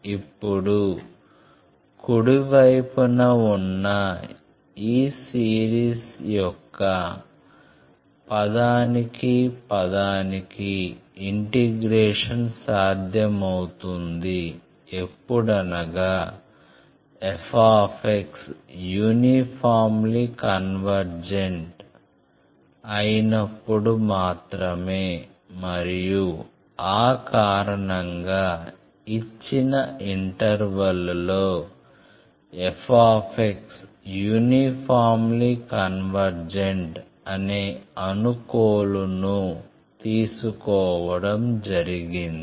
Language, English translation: Telugu, Now this term by term integration of this series on the right hand side is possible only when f x is uniformly convergent and for that reason, the condition assumption has been taken that f x is uniformly convergent in the given interval